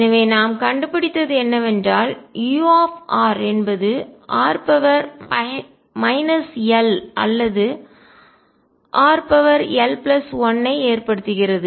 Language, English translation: Tamil, So, what we found is that u r causes either r raise to minus l or r raise to l plus 1